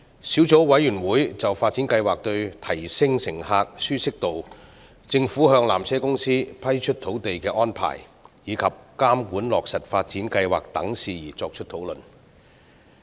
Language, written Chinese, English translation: Cantonese, 小組委員會曾就發展計劃對提升乘客的舒適度、政府向纜車公司批出土地的安排，以及監管落實發展計劃等事宜作出討論。, The Subcommittee has deliberated on inter alia the improvements to be brought about by the upgrading plan on passengers comfort the arrangements for the granting of land to PTC by the Government and the monitoring of the implementation of the upgrading plan